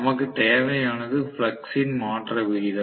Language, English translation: Tamil, All you need is a rate of change of flux that is all